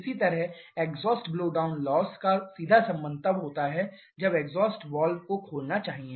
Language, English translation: Hindi, Similarly the exhaust blowdown loss has a direct relation with when the exhaust valve should open